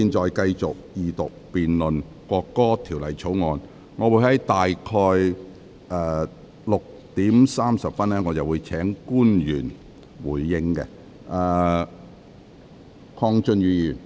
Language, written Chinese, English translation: Cantonese, 本會現在繼續二讀辯論《國歌條例草案》，我會於大約6時30分邀請官員答辯。, This Council now continues the Second Reading debate on the National Anthem Bill . I will call upon public officer to reply at about 6col30 pm